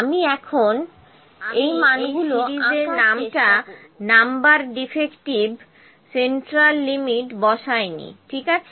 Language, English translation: Bengali, I have not picked the series name number defective central limit, ok